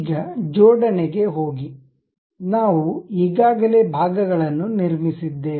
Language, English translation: Kannada, Now, go for assembly, because parts we have already constructed